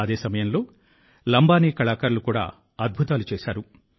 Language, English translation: Telugu, At the same time, the Lambani artisans also did wonders